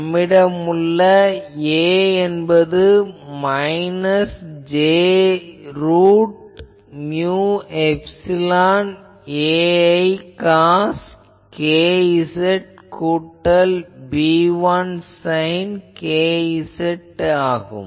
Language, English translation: Tamil, So, also I have the solution of A that A is in our case is minus j root over mu epsilon A 1 cos k z plus B 1 sin k z